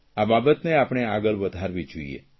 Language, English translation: Gujarati, We should take this thing forward